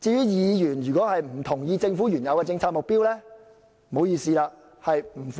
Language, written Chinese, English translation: Cantonese, 議員如果不同意政府的原有政策目標，該如何是好？, What if Members do not agree to the fundamental policy objectives of the Government?